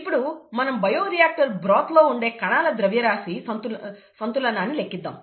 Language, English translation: Telugu, Now, let us do a mass balance on cells in the bioreactor broth